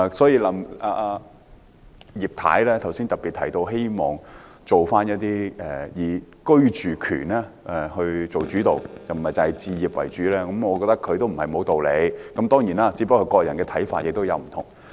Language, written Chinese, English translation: Cantonese, 葉太剛才特別提到希望房屋政策的目標以居住權為主導，不要只以置業為主，我覺得她不無道理，只是各人的看法有所不同。, Members of the public like bricks and mortar . Just now Mrs IP has highlighted that the objective of our housing policy should focus on the right to residency but not merely on home ownership . I hold that she is not without reasons only that different views are held by different persons